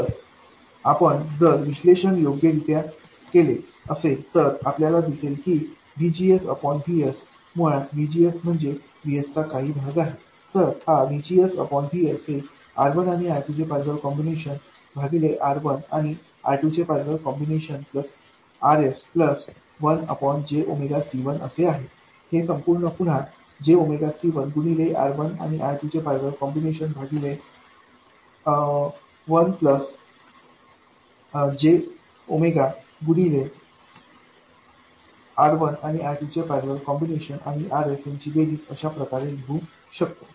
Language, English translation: Marathi, So, if you do the analysis correctly, you will see that VGS by VS, basically the fraction of VS that appears as VGS, this is equal to R1 parallel R2 divided by R1 parallel R2 plus RS plus 1 by J omega C1, which can be written as J omega C1 R1 parallel R2 divided by 1 plus J omega C1 R1 parallel R2 plus RS